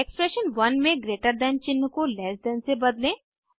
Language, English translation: Hindi, In expression 1 replace greater than sign with less than sign